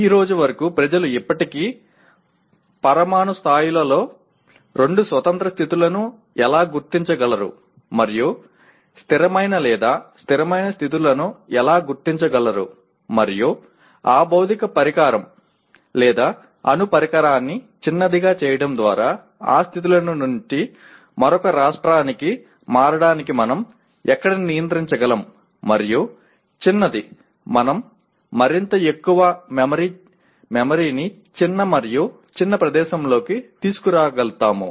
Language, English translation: Telugu, Till today, even now people are still finding out at atomic level how can we identify two independent states and control or rather stable states and where we can control this switching over from one state to the other by making that physical device or atomic device smaller and smaller we are able to kind of bring more and more memory into a smaller and smaller place